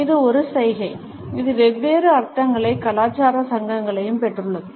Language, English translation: Tamil, It is also a gesture, which has got different connotations and cultural associations